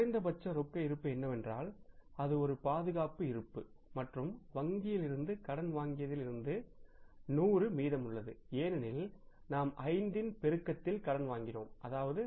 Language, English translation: Tamil, 5,000 we have kept as the minimum cash balance desired that is a safety stock and 100 is left from the borrowing from the bank because we borrowed in the multiple of fives that is 15,500 actually we required 15,400 so 100 is left from this borrowing